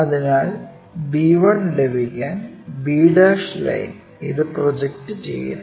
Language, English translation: Malayalam, So, b' line we project it to get b 1'